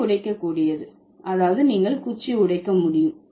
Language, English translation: Tamil, The stick is breakable, that means you are, you can break the stick